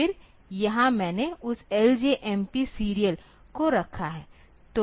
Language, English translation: Hindi, Then here I put that L J M P serial